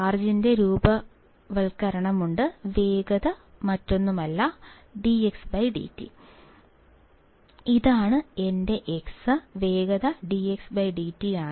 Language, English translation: Malayalam, And there is a formation of charge, the velocity is nothing but dx by dt